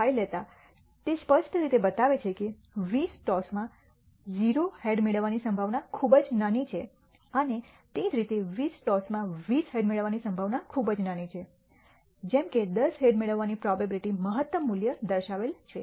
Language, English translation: Gujarati, 5 clearly, it shows the probability of receiving 0 heads in 20 tosses is extremely small and similarly the probability of obtaining 20 heads in 20 tosses loss is also small as expected the probability of obtaining ten heads has the maximum value as shown